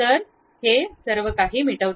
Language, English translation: Marathi, So, it erases everything